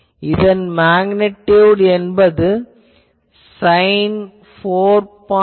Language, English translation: Tamil, Magnitude is equal to sin of 4